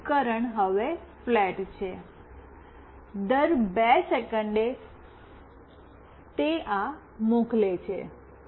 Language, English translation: Gujarati, And the device is flat now, every two second it is sending this